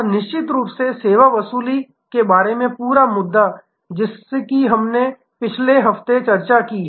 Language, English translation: Hindi, And of course, the whole issue about service recovery, that we discussed last week